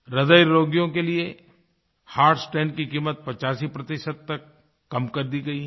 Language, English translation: Hindi, The cost of heart stent for heart patients has been reduced to 85%